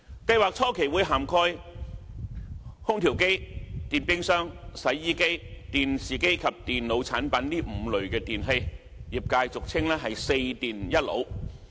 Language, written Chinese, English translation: Cantonese, 計劃初期會涵蓋空調機、電冰箱、洗衣機、電視機及電腦產品這5類電器，業界俗稱"四電一腦"。, The initial phase of this PRS covered five types of electrical equipment namely air conditioners refrigerators washing machines television sets and computer products also commonly known as four categories of electrical equipment and one category of computer products